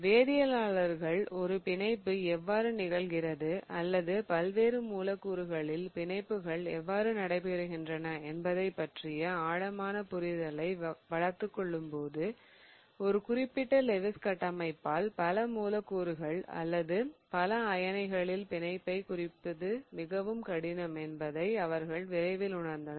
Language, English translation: Tamil, So, as chemists develop a deeper understanding of how bonding happens or how bondings in various molecules takes place, they soon realize that it is very difficult to represent the bonding in multiple molecules or multiple ions by just one particular Lewis structure